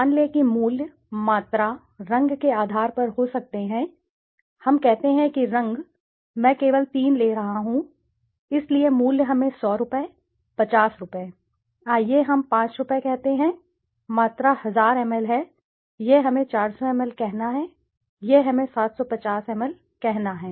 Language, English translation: Hindi, Let us say the attributes could be on the basis of price, volume, let us say color, I am taking only three, so price is let us say Rs 100, Rs 50, let us say Rs 75, volume is let us say 1000ml, this is let us say 400ml, this is let us say 750ml